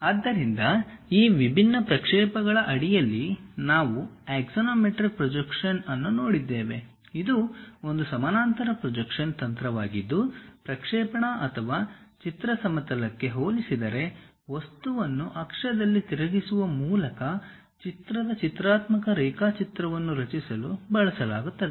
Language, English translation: Kannada, So, under these different projections, we have seen axonometric projection; it is a parallel projection technique used to create pictorial drawing of an object by rotating the object on axis, relative to the projection or picture plane